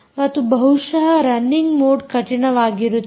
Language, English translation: Kannada, ok, and perhaps the toughest is the running mode